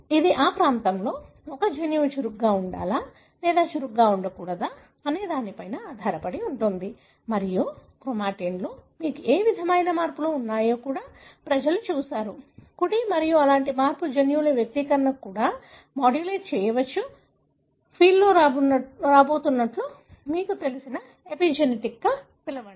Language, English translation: Telugu, It depends on whether a gene in that region should be active or not active and people even looked at what are the regions you have such kind of modifications in the chromatin, right and such modification can also be modulating the expression of the genes which also you call as epigenetic something, that you know is coming up in the field